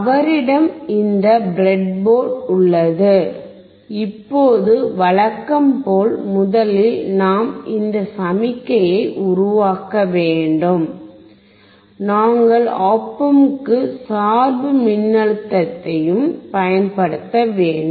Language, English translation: Tamil, So, he has this breadboard, now as usual, first of all we have to generate this signal, and we also have to apply the bias voltage to the op amp